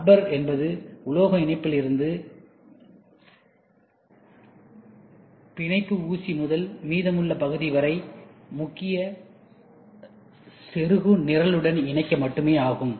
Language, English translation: Tamil, The rubber is only to hold the connection from the metal connection from the pin to the rest of the travelling whatever it is and also to connected to the main plug point